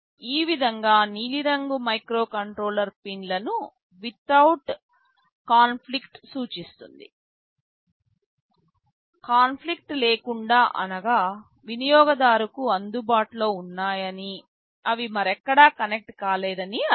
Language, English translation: Telugu, Like this blue color indicates the microcontroller pins without conflict; without conflict means they are available to the user, they are not connected anywhere else